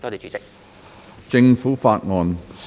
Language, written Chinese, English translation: Cantonese, 政府法案：首讀。, Government Bill First Reading